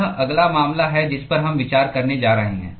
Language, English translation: Hindi, That is the next case we are going to consider